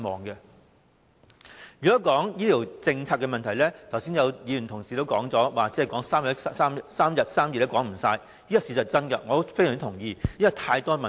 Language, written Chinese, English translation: Cantonese, 如果要討論醫療政策的問題，正如剛才有同事所說，討論3天3夜也說不完，這是事實，我非常同意，因為實在有太多問題。, On the problems of the healthcare policy as mentioned by an Honourable colleague just now we can hardly finish discussing them in just a couple of days . This is true . I totally agree because there are in fact too many problems